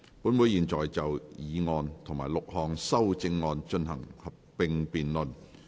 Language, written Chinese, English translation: Cantonese, 本會現在就議案及6項修正案進行合併辯論。, Council will now proceed to a joint debate on the motion and the six amendments